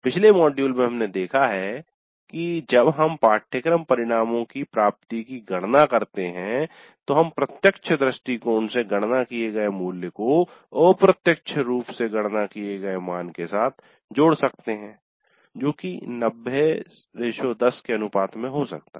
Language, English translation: Hindi, In the earlier module we have seen that when we compute the attainment of course outcomes, we can combine the value computed from direct approaches with the value computed indirectly, maybe in the ratio of 90 10